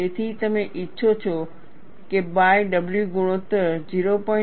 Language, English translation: Gujarati, So, you want to have a by w ratio is around 0